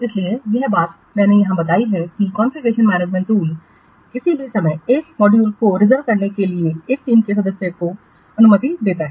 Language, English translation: Hindi, So this thing I have explained here that the Confucian management tools allow only one team member to to reserve a module at any time